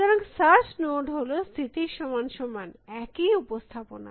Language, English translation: Bengali, So, search node is equal to state, the same representation